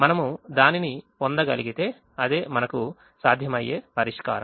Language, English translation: Telugu, if we are able to get that, then it is a feasible solution